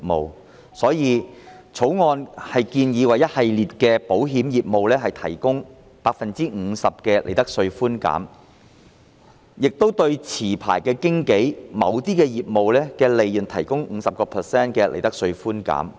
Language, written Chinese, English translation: Cantonese, 因此，《條例草案》建議為一系列的保險業務提供 50% 的利得稅寬減，亦對持牌經紀的某些業務的利潤提供 50% 的利得稅寬減。, Thus the Bill proposes to provide a tax concession at 50 % of the profits tax rate for a number of insurance businesses and certain businesses of licensed brokers